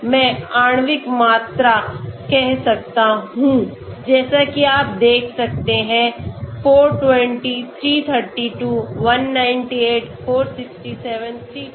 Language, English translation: Hindi, So I can say molecular volume as you can see 420, 332, 198, 467, 359 okay